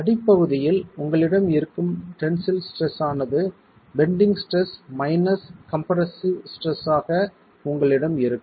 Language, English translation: Tamil, The tensile stress at the base itself is now going to be the bending stress minus the compressive stress that you have